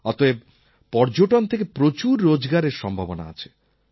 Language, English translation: Bengali, There are many employment opportunities created by tourism